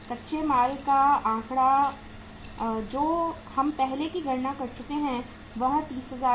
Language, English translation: Hindi, What is the raw material figure we have already calculated is 30,000